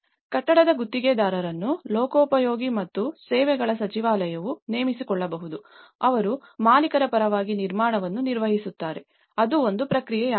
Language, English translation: Kannada, And also, a building contractor would may be hired by the Ministry of Public Works and services who manages the construction on behalf of the owner, so that is process